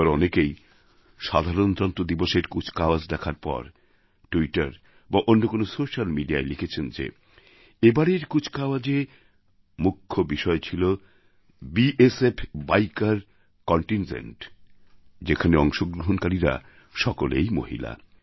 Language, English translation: Bengali, This time, after watching the Republic Day Parade, many people wrote on Twitter and other social media that a major highlight of the parade was the BSF biker contingent comprising women participants